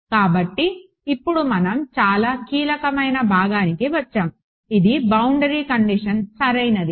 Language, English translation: Telugu, So, now, we come to the very crucial part which is boundary condition right